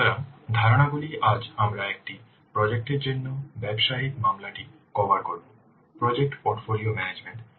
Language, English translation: Bengali, So the concepts today we will cover our business case for a project, project full portfolio management and project evaluation